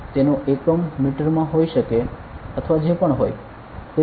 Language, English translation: Gujarati, Whatever unit maybe it could be in meter or whatever it is